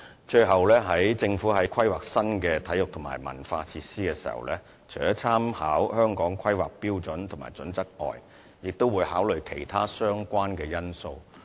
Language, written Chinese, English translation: Cantonese, 最後，政府在規劃新的體育及文化設施時，除了參考《香港規劃標準與準則》外，也會考慮其他相關因素。, Lastly the Government will take into account other factors apart from making reference to the Hong Kong Planning Standards and Guidelines in planning for the construction of new sports and cultural facilities